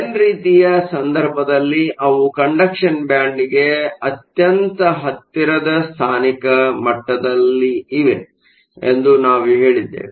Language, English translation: Kannada, In the case of n type, we said that they are localized levels very close to the conduction band